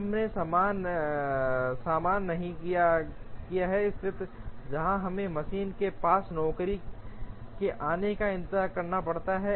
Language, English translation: Hindi, We have not encountered a situation, where we have to the machine has to wait for the job arrival